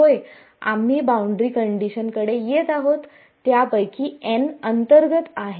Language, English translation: Marathi, Yeah we are coming to the boundary conditions n of them are interior